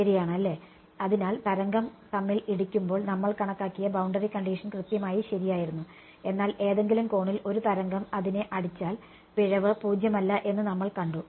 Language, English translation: Malayalam, Correct right; so, a boundary condition which we derive was exactly true when the wave hits it head on, but if a wave hits it at some angle, we have seen that the error is non zero right